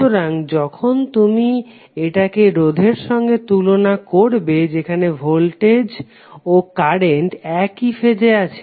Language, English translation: Bengali, So when you compare with the resistor, where voltage and current both are in phase